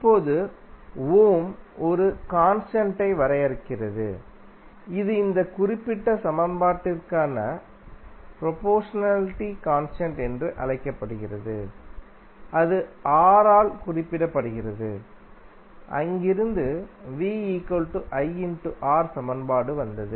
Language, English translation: Tamil, Now, Ohm define one constant, which is called proportionality constant for this particular equation and that was represented by R and from there the equation came like V is equal to R into I